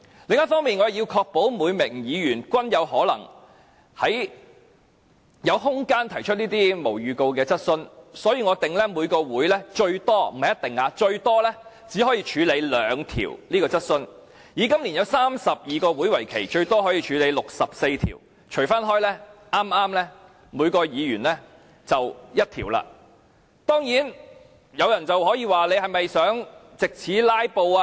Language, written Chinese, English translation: Cantonese, 另一方面，我也要確保每名議員均有可能有空間提出這類無經預告的質詢，所以我訂明每個會議最多只可以處理兩項急切質詢，以今年32個會期為例，最多可以處理64項急切質詢，平均計算每一位議員可提出一項。, On the other hand in order to make sure that each Member will have time to raise his question without notice I propose that a maximum of two urgent questions can be dealt with in each meeting . For example in this session with 32 meetings a maximum of 64 urgent questions can be dealt with and on average each Member can raise one urgent question